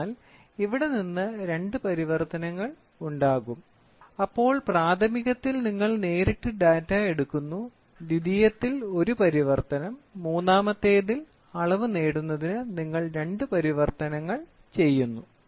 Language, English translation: Malayalam, So, here there will be two translations from this; so primary means, directly you take the data, secondary means, one translation; ternary means, you do two translations to get the measurement